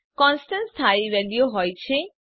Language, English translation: Gujarati, Constants are fixed values